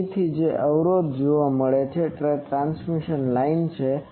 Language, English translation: Gujarati, So, the impedance that is seen from here this is the transmission line